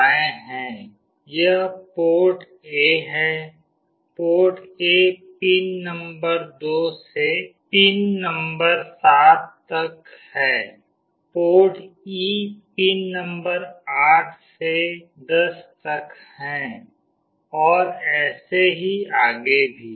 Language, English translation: Hindi, This is port A; port A is from pin number 2 to pin number 7, port E is from pin number 8 to 10, and so on